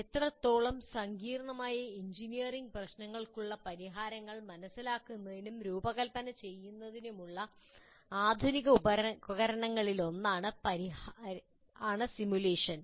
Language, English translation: Malayalam, Now, to that extent, simulation constitutes one of the modern tools to understand and design solutions to complex engineering problems